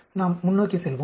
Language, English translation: Tamil, Let us go forward